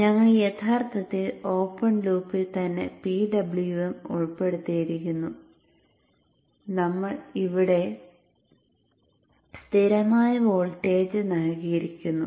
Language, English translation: Malayalam, We had actually included the PWM in the open loop itself and we had given a constant voltage here